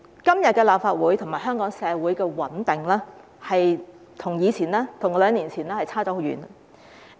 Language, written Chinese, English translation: Cantonese, 今天立法會和香港社會的穩定，跟兩年前相差很遠。, The stability of the Legislative Council and Hong Kong society today is a far cry from what it was two years ago